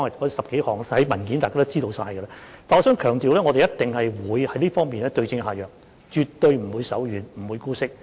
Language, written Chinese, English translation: Cantonese, 我想強調一點，我們一定會在這方面對症下藥，絕對不會手軟，也不會姑息。, I would like to emphasize that we will definitely prescribe the right remedy and spare no mercy and allow no tolerance